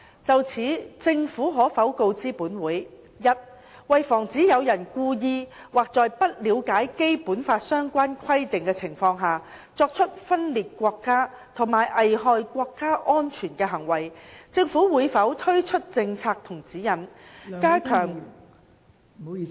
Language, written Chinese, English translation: Cantonese, 就此，政府可否告知本會：一為防止有人故意或在不了解《基本法》相關規定的情況下，作出分裂國家和危害國家安全的行為，政府會否推出政策及指引，加強......, In this connection will the Government inform this Council 1 to prevent anyone from engaging in acts of secession and endangering national security deliberately or due to a lack of understanding of the relevant provisions of BL whether the Government will promulgate policies and guidelines to enhance